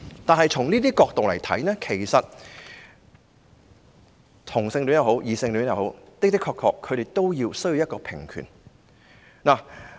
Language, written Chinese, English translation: Cantonese, 不過，從這些角度而言，同性戀及異性戀人士的確也需要平權。, Yet even from the standpoints of all these there should still be equal rights for both homosexual and heterosexual people